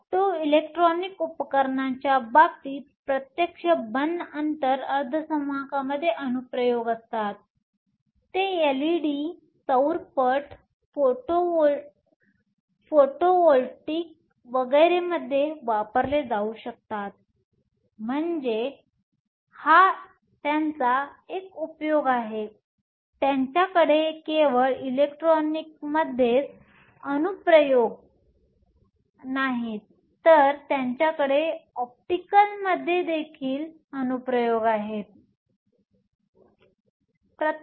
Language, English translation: Marathi, Direct band gap semiconductors have applications in the case of optoelectronic devices; they can be used in LEDs, solar cells, photovoltaic and so on, so that is one of their advantages, they not only have application on the electronic side, they also have application on the optical side